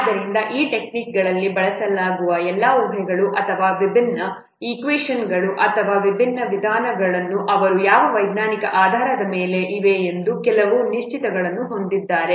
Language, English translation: Kannada, So, all those what assumptions or the different equations or the different methods that will be used in these techniques, they have some certain but scientific basis